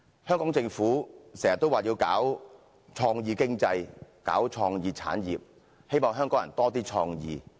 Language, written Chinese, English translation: Cantonese, "香港政府經常說要搞創意經濟和創意產業，希望香港人有較多創意。, The Hong Kong Government puts forward time and time again the development of creative economy and creative industries . It always hopes that Hong Kong people can be more creative